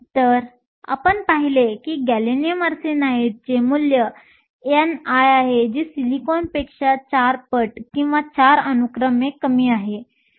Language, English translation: Marathi, So, we saw that gallium arsenide has a value of n i that is 4 times or 4 orders lower than that of silicon